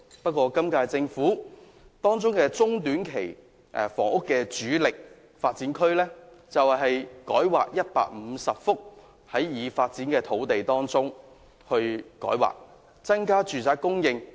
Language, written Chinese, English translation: Cantonese, 不過，今屆政府中、短期房屋的主力工作，卻是改劃150幅已發展區域的土地，增加住屋供應。, However the major task of the current - term Government in respect of short - to medium - term housing is to increase housing supply by rezoning 150 sites in built - up areas